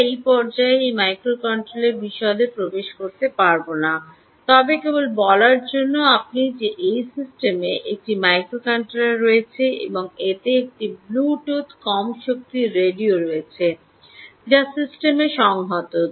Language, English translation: Bengali, we will not get into the detail of this microcontroller at this stage, but just to tell you that this system has a microcontroller and also has a bluetooth low energy radio which is integrated into the system